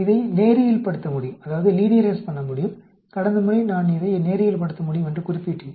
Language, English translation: Tamil, This can be linearized, last time I mentioned this can be linearized